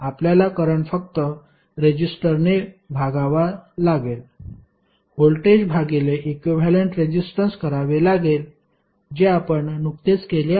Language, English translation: Marathi, Current you have to just simply divide the resistor, the voltage by equivalent resistance which we have just calculated